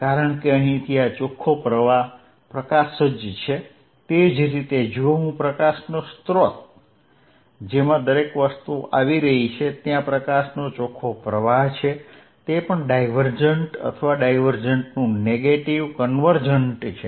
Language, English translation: Gujarati, Because, this is a net flow light from here, similarly if I source of light in which everything is coming in there is a net flow of light in this is also divergent or negative of divergent convergent